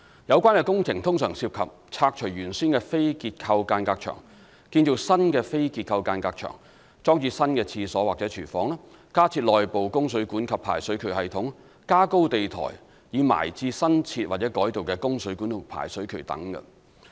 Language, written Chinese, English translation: Cantonese, 有關的工程通常涉及拆除原先的非結構間隔牆、建造新的非結構間隔牆、裝置新廁所或廚房、加設內部供水管及排水渠系統，以及加高地台以埋置新設或改道的供水管及排水渠等。, Building works commonly associated with subdivided units include removal of the original non - structural partition walls erection of new non - structural partition walls installation of new toilets and kitchens addition of internal water and drain pipes and thickening of floor screeding to accommodate the new or diverted water and drain pipes